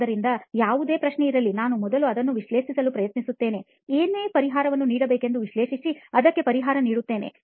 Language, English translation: Kannada, So for any question, first I try to analyze what the solution to give for that, solution for it